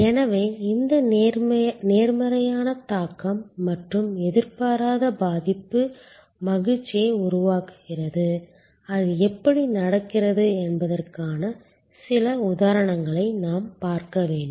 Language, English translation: Tamil, So, this positive affect and unexpected affect that creates the joy and we will have to look at some examples of how that happens